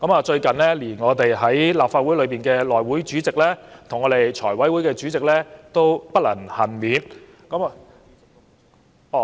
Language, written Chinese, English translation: Cantonese, 最近，連我們的內務委員會主席及財務委員會主席也不能幸免。, Recently even the Chairmen of our House Committee and Finance Committee fell victim to the mechanism